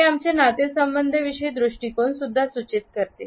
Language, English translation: Marathi, It also indicates our attitudes towards relationships